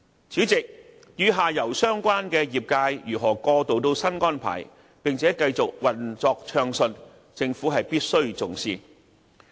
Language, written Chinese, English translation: Cantonese, 主席，與下游相關的業界如何過渡到新安排，並且繼續暢順運作，政府必須重視。, President the Government must attach a great deal of importance to making arrangements to facilitate continuance of smooth operations of the relevant industries at downstream after the transition